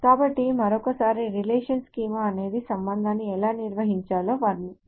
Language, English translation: Telugu, So once more a relation schema is a description of how the relation should be defined